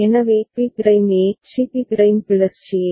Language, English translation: Tamil, So, B prime A; C B prime plus C A